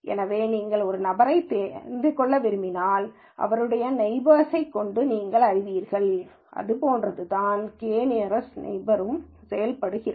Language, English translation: Tamil, So, its something like if you want to know a person, you know his neighbors, something like that is what use using k nearest neighbors